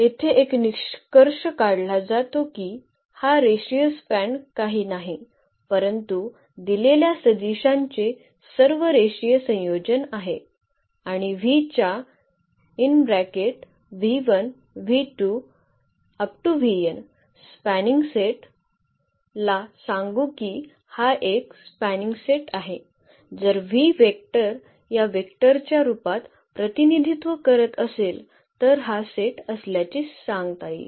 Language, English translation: Marathi, Here the conclusion is that this linear span is nothing, but all the all linear combinations of the given vectors and the spanning set which v 1, v 2, v n of v we will call that this is a spanning set, if any vector of this v, we can represent in the form of these vector these then we call that this is a spanning set